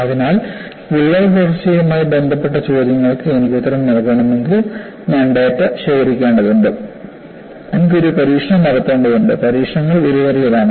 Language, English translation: Malayalam, So, if I have to answer questions related to crack growth, I need to collect data; I need to do a series of experiments and experiments is costly